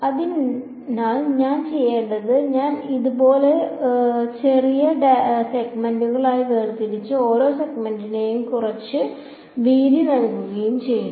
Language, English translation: Malayalam, So, what I will do is I will discretize it like this into little segments and let each segment have some width